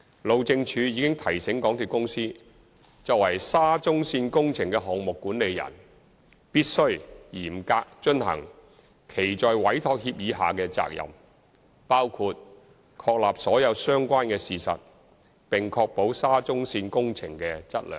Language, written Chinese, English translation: Cantonese, 路政署已提醒港鐵公司作為沙中線工程的項目管理人，必須繼續嚴格遵行其在委託協議下的責任，包括確立所有相關的事實，並確保沙中線工程的質量。, HyD has reminded MTRCL that being the project manager of SCL project MTRCL has to strictly comply with the responsibility under the Entrustment Agreement including verification of the facts of all related issues and ensure the quality of works of SCL